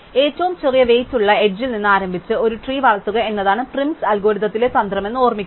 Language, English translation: Malayalam, Remember that the strategy in PrimÕs Algorithm is to start with the smallest weight edge and then incrementally grow a tree